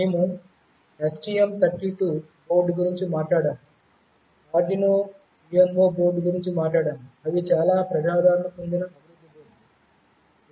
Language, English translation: Telugu, We have talked about the STM32 board, we have talked about the Arduino UNO board that are very popular development boards